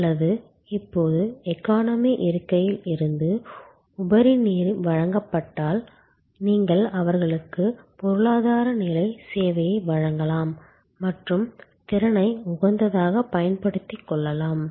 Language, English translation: Tamil, Or if it is now catering to the overflow from the economy seat, you can provide them the economy level of service and manage to optimally utilize the capacity